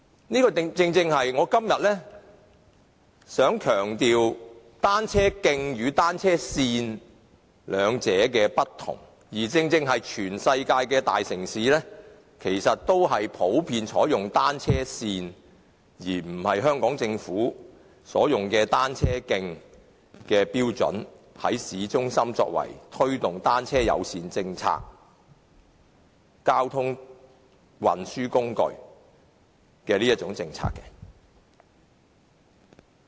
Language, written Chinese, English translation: Cantonese, 我今天正正想強調單車徑與單車線兩者的不同，而全世界的大城市其實均普遍採用單車線標準，而不是香港政府所採用的單車徑標準，在市中心推動單車友善政策，以及以單車作為交通運輸工具的政策。, Today I just wish to emphasize the difference between cycle tracks and cycle lanes . All the major cities in the world generally adopt the standards for cycle lanes rather than those adopted by the Hong Kong Government for cycle tracks in promoting the bicycle - friendly policy and the policy of using bicycles as a mode of transport downtown